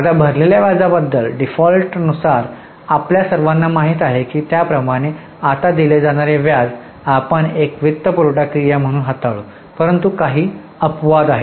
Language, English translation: Marathi, Now interest paid as you all know by default we will treat it as a financing activity but there are a few exceptions